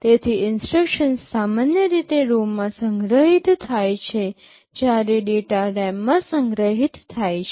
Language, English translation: Gujarati, So, instructions are typically stored in a ROM while data are stored in a RAM